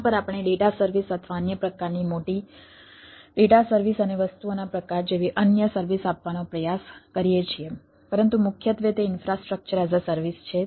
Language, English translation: Gujarati, over that we try to give other services, like data services or other type of big data services and type of things, but primarily its a infrastructure as a service, so its a private cloud